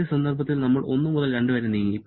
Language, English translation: Malayalam, Then, in the first case we have moved from 1 to 2